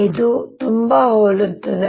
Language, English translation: Kannada, this is very similar